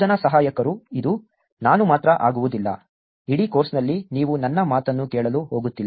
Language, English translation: Kannada, Teaching Assistants, it is not going to be just me, you are not going to just listen to me over the entire course